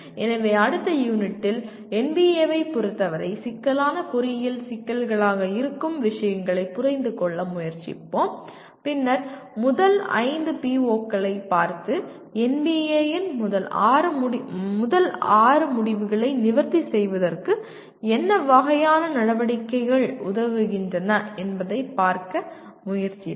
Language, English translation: Tamil, So in the next unit we will try to understand the nature of what the NBA calls complex engineering problems and we then we look at the first five POs and try to look at what kind of activities facilitate addressing the first six outcomes of NBA